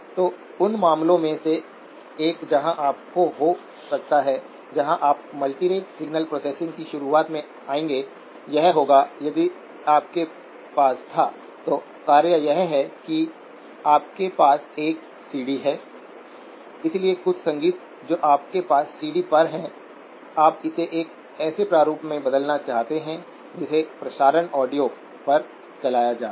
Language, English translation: Hindi, So one of the cases where you may have to, where you will come across the introduction of multirate signal processing would be that if you had, so the task is that you have a CD, so some music that you have on a CD, you want to convert it into a format that can be played on broadcast audio